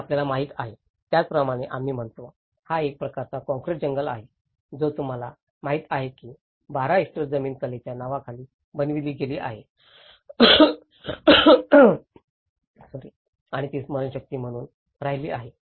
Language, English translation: Marathi, It is, we call it as you know, it is a kind of concrete jungle you know 12 hectares of land has been concretized as a part of in the name of the art and it has been as a memory